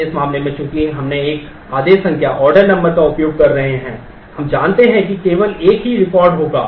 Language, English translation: Hindi, But in this case since we are using one order number we know that there will be only one record